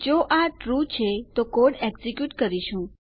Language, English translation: Gujarati, If this is TRUE, we will execute the code here